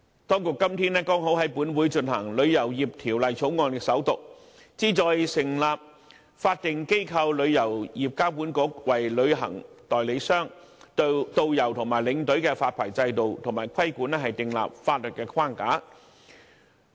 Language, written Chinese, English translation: Cantonese, 今天剛好在立法會進行首讀的《旅遊業條例草案》，旨在成立法定機構旅遊業監管局，為旅行代理商、導遊及領隊的發牌制度及規管訂立法律框架。, Incidentally the Travel Industry Bill which seeks to provide for the establishment of a statutory body the Travel Industry Authority and the legislative framework for the licensing and regulation of travel agents tour guides and tour escorts received its First Reading in Council today